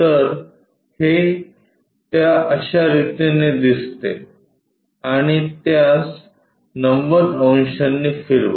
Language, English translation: Marathi, So, it appears in that way and rotate it by 90 degrees